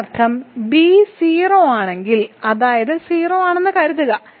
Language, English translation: Malayalam, That means and suppose b is so if b is 0, that means a is 0